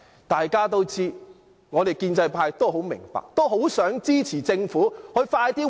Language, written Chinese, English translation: Cantonese, 大家都知道，我們建制派都很明白，很想支持政府盡快覓地建屋。, These are facts which all people including pro - establishment Members understand and we strongly support the Government in identifying land for housing development